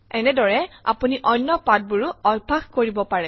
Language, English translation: Assamese, Similarly you can practice different lessons